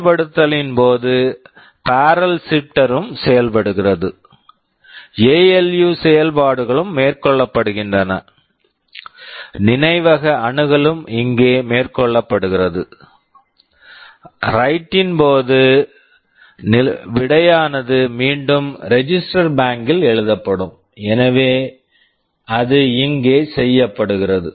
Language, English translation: Tamil, During execute the barrel shifter is also working, ALU operations also carried out, memory access are carried out here; during write, the results written back into the register bank, so it is done here